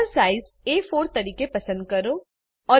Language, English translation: Gujarati, Select the Paper Size as A4